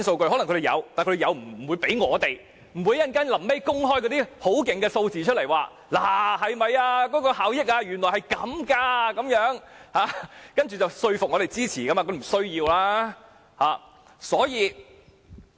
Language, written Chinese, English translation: Cantonese, 政府可能有這些資料，但不會交給我們，最後也不會公開一些數字，說高鐵的效益原來是這樣，以說服我們支持議案。, The Government may have such information but it will not provide to us . In the end it will not disclose figures showing the benefits of Guangzhou - Shenzhen - Hong Kong Express Rail Link to convince Members to support its motion